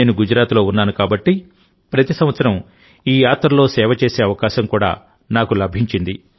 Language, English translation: Telugu, I was in Gujarat, so I also used to get the privilege of serving in this Yatra every year